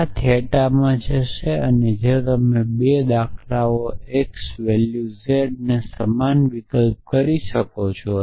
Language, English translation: Gujarati, So, this will go into theta so this is if you want to may these 2 patterns same substitute for x the value z